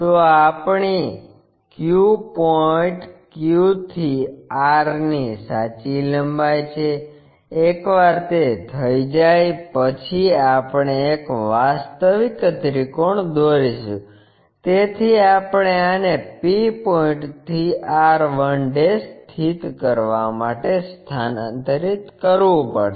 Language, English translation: Gujarati, So, this is true length of our Q point Q to r, once it is done we will draw an actual triangle, so we have to transfer this one to locate from p point r 1'